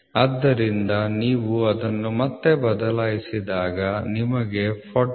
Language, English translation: Kannada, So, when you substitute it back you will get 40